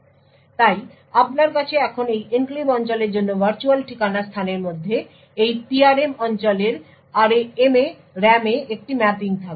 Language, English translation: Bengali, So, therefore you would now have a mapping for this enclave region within the virtual address space to this PRM region in the RAM